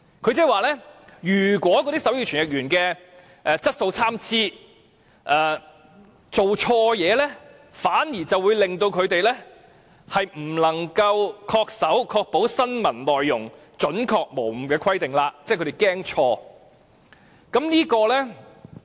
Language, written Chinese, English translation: Cantonese, 它的意思是，如果手語傳譯員的質素參差，傳譯錯誤，反而會令持牌人不能恪守要確保新聞內容準確無誤的規定，即電視台害怕出錯。, Its meaning is that any inaccurate interpretation due to varying service quality of sign language interpreters will render a licensee unable to comply with the requirement on the accuracy of contents of news programmes as stipulated in the Code . In other words the television station is afraid of making mistakes